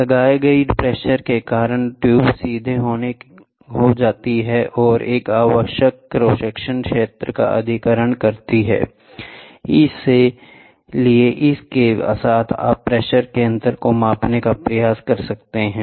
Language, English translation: Hindi, Due to the applied pressure, the tube straightens out and tends to acquire a required cross section area, with this you can also try to measure pressure difference